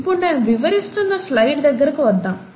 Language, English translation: Telugu, So let’s come back to the slide which I was talking about